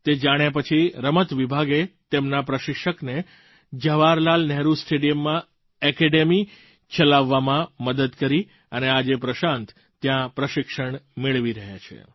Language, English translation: Gujarati, After knowing this amazing fact, the Sports Department helped his coach to run the academy at Jawaharlal Nehru Stadium, Delhi and today Prashant is being coached there